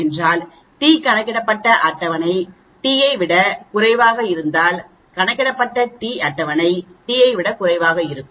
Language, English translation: Tamil, If the t calculated is less than table t accept H0, if t calculated is greater than table t then reject H0,